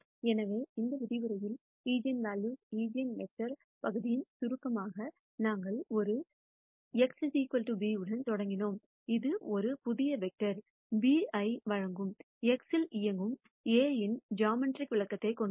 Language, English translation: Tamil, So, in summary for the eigenvalue eigenvector portion of this lecture, we started with A x equal to b which has a geometric interpretation of A operating on x giving a new vector b